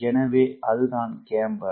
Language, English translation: Tamil, so what is camber then